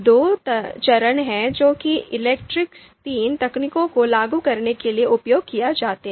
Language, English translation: Hindi, So there are two phases which are used to you know implement ELECTRE III technique